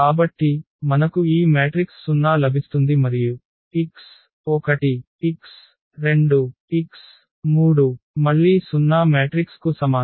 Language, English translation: Telugu, So, what we will get this 0 matrix here and x 1 x 2 x 3is equal to again the 0 matrix